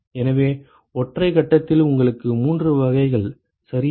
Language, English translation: Tamil, So, in single phase you have three types ok